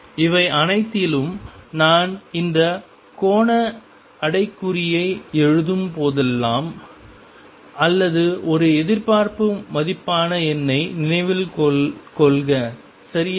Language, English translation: Tamil, In all this keep in mind that whenever I am writing this angular bracket or the expectation value that is a number right